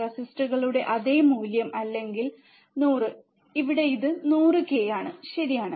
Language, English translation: Malayalam, Same value of resistors or 100, here it is 100 k, right